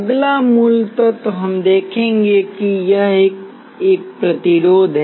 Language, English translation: Hindi, The next basic element, we will be looking at it is a resistor